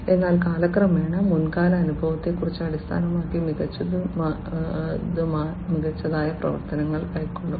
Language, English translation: Malayalam, So, with time better and better actions based on the past experience will be taken